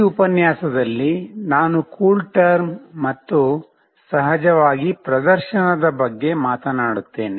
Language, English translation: Kannada, In this lecture, I will talk about CoolTerm and of course, the demonstration